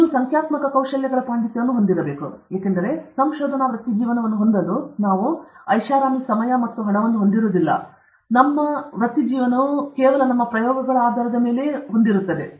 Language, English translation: Kannada, You should have mastery of numerical techniques, because we don’t have the luxury, the time and the money, to have a research career, where all our investigation will be based only on experiments okay